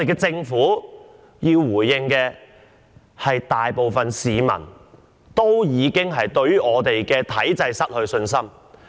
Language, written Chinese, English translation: Cantonese, 政府要應對的是大部分市民已對香港體制失去信心一事。, The Government must respond to the fact that most people in Hong Kong have lost confidence in the political system of Hong Kong